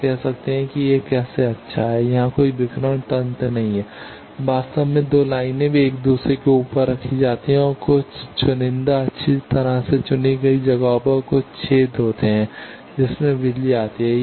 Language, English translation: Hindi, You can say how it is good, there is no radiation mechanism here actually the 2 lines they are kept one over other and there are some holes at some selected well designed places by that the power comes